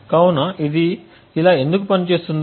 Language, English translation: Telugu, So why would this thing work